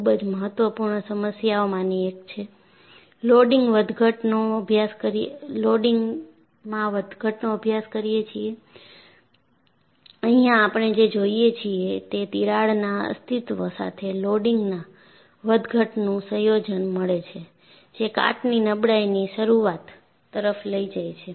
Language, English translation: Gujarati, It is one of the very important problem, that they study the loading fluctuations, and what we look at here is combination of loading fluctuation with existence of a crack, will lead to onset of corrosion fatigue